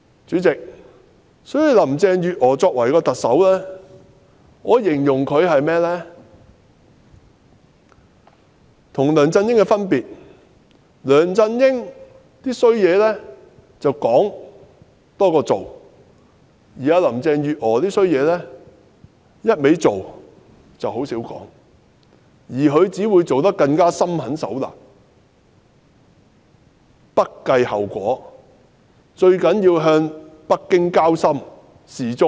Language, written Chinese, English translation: Cantonese, 主席，我會形容特首林鄭月娥與梁振英的分別在於梁振英"多說話，少做事"，而林鄭月娥則是"多做事，少說話"，但她只會更心狠手辣，不計後果，最重要的是向北京交心表忠。, Chairman if I am to describe the difference between Carrie LAM and LEUNG Chun - ying I will say that LEUNG talks more often than taking action whereas in the case of Carrie LAM it is the other way round . But mind you she will only turn more ruthless and remain oblivious to the consequence and to her the most important of all is to show her loyalty to Beijing